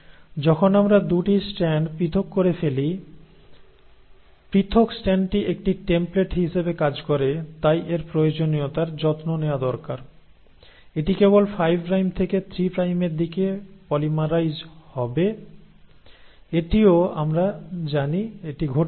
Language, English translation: Bengali, So when we have separated the 2 strands, the separated strand acts as a template, so this requirement has been taken care of, it will polymerize only in the direction of 5 prime to 3 prime; that also we know it happens